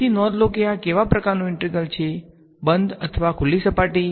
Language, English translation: Gujarati, So, note that this is a what kind of an integral is this a closed or a open surface